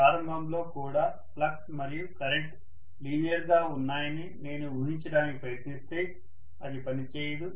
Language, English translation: Telugu, If I simply try to assume that flux and current are linear even in the beginning, that is not going to work